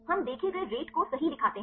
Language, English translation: Hindi, We show the observed rate right